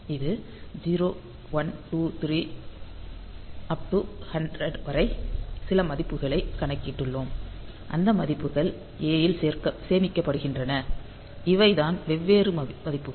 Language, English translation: Tamil, So, this is 0, 1, 2, 3; so, up to some value say up to 100; we have computed the values and those values are stored in a; so, these are the different values